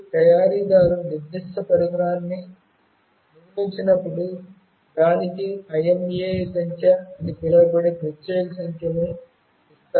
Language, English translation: Telugu, When the manufacturer builds that particular device, it gives a unique number to it that is called IMEI number